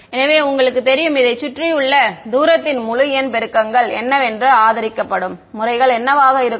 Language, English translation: Tamil, So, we know that you know integer multiples of the distance around this are what will be the supported modes ok